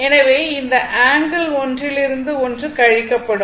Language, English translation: Tamil, So, this angle will be subtracted from this one